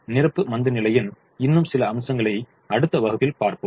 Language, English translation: Tamil, some more aspects of complementary slackness we will see in the next class